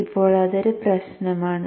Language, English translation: Malayalam, That is important